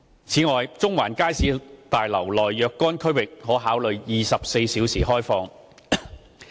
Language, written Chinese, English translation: Cantonese, 此外，中環街市大樓內若干區域可考慮24小時開放。, In addition consideration may be given to opening certain areas in the Central Market Building around the clock